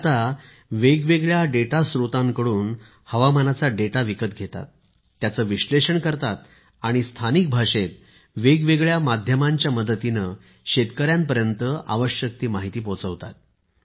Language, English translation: Marathi, Now he purchases weather data from different data sources, analyses them and sends necessary information through various media to farmers in local language